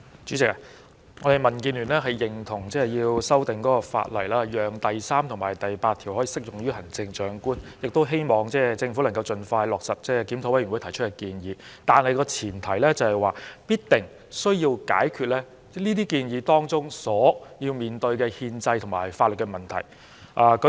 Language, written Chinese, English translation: Cantonese, 主席，我們民建聯認同需要修訂法例，讓第3及8條可適用於行政長官，亦希望政府盡快落實檢討委員會提出的建議，但前提是，必須解決該些建議當中所要面對的憲制和法律問題。, President the Democratic Alliance for the Betterment and Progress of Hong Kong DAB concurs that it is necessary to amend the legislation to make sections 3 and 8 applicable to the Chief Executive and we also hope that the Government will implement the recommendations proposed by IRC provided that the constitutional and legal issues involved in those recommendations are resolved